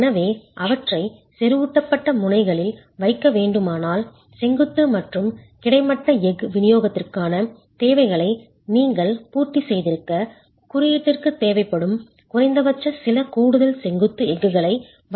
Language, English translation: Tamil, So if you were to place them at the ends concentrated, you might have to provide some additional vertical steel, at least a minimum that the code requires, so that you have satisfied the requirements for vertical and horizontal steel distribution